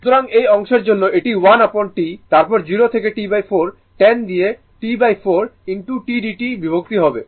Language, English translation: Bengali, So, for this part it is 1 upon T, then 0 to T by 4 10 divided by T by 4 into t dt